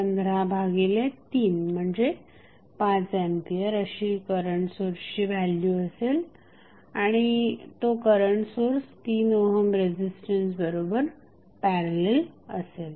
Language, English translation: Marathi, Current source value would be 15 by 3 that is nothing but 5 ampere and in parallel with one resistance that value of resistance would be 3 ohm